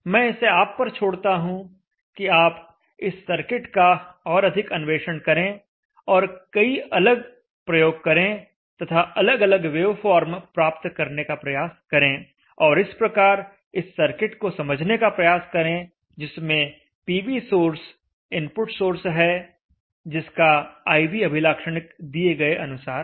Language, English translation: Hindi, So I will leave it to you to explore this circuit also and try out various things and try to visualize the way forms and try to understand the circuit with the PV source being the input source with IV characteristics as given